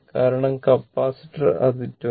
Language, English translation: Malayalam, Because, capacitor it is 22